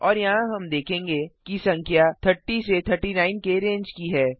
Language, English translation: Hindi, And here we will see that the number is in the range of 30 to 39